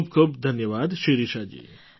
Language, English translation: Gujarati, Many many thanks Shirisha ji